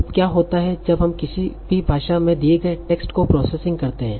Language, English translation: Hindi, So now what happens when I am pre processing the text in given in any language